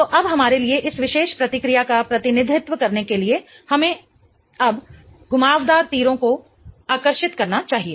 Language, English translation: Hindi, So, now in order for us to represent this particular reaction, let us now draw the curved arrows